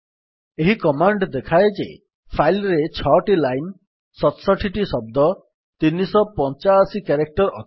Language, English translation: Odia, The command points out that the file has 6 lines, 67 words and 385 characters